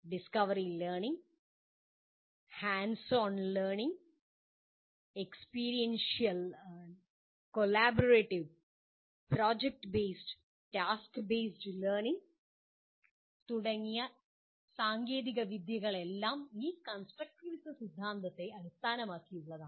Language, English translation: Malayalam, Techniques like discovery learning, hands on learning, experiential, collaborative, project based, task based learning are all based on this theory of constructivism